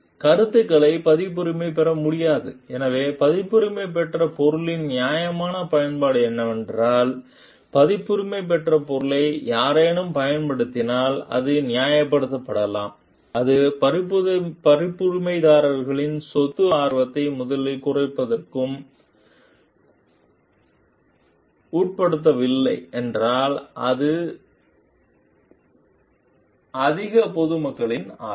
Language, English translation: Tamil, The ideas cannot be copyrighted, the idea of being which is, therefore the fair use of the copyrighted material is that it somebody using the copyrighted material may be justified, if it does not undermine a copyright holders property interest first or it is in the interest of greater public